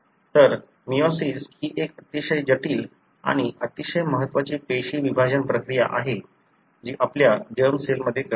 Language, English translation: Marathi, So, the meiosis is a very complex and very important cell division process that takes place in your germ cells